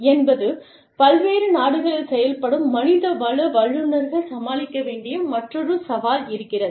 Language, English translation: Tamil, So, these are some of the challenges, that HR managers, in multi national enterprises, have to deal with